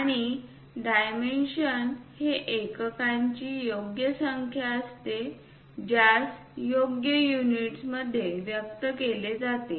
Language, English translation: Marathi, And, a dimension is a numerical value expressed in appropriate units